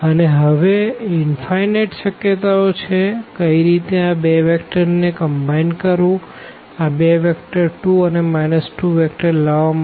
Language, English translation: Gujarati, And, and there are infinitely many possibilities now to combine these two vectors to get this vector 2 and minus 2